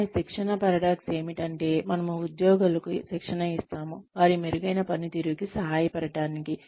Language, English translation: Telugu, But, training paradox is, we train employees, in order to help them, perform better